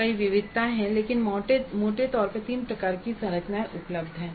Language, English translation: Hindi, There are many variations but broadly there are three kind of structures which are available